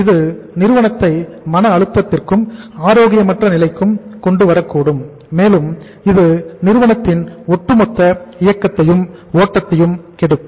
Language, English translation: Tamil, It can bring the firm under distress, under the stress, under the sickness and it can spoil the overall running flow of the firm